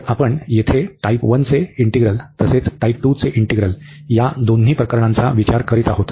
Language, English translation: Marathi, So, here we are considering both the cases the integral of type 1 as well as integral of type 2